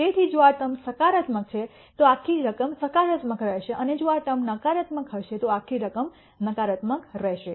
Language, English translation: Gujarati, So, if this term is positive this whole sum will be positive and if this term is negative the whole sum will be negative